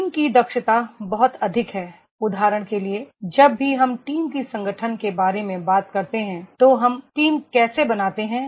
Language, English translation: Hindi, Team efficiency is much more, for example whenever we talk about the forming of the team, how do we form the team